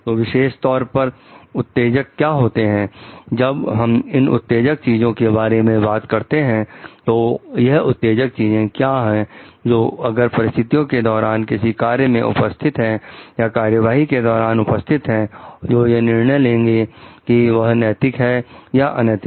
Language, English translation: Hindi, What are the triggers specifically, when we discussing about the triggers what are the triggers which if present in a situation in a act or a course of action which will qualify it to be ethical or not ethical